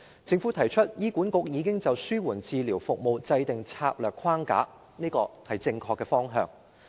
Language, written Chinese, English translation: Cantonese, 政府表示，醫院管理局已就紓緩治療服務制訂策略框架，這是正確的方向。, The Government indicated that the Hospital Authority HA has formulated a strategic service framework on palliative care . This is the right direction